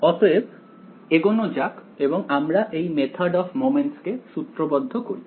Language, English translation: Bengali, So, let us go ahead; let us actually formulate this Method of Moments ok